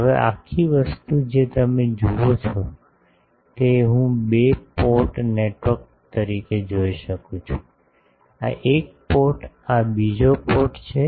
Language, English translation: Gujarati, Now, this whole thing you see I can view as a two port network; this is one port, this is another port